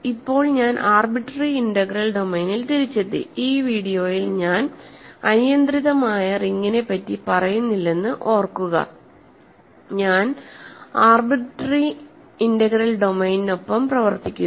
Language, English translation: Malayalam, So, now, I am back in arbitrary integral domain remember that I am not working with an arbitrary ring in this video, I am working with an arbitrary integral domain